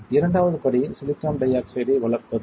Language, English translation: Tamil, Second step is to grow silicon dioxide right